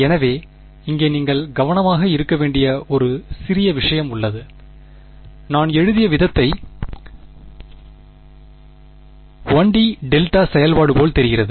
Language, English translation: Tamil, So, here there is one small thing that you have to be careful of, if you the way I have written this looks like a 1 D delta function right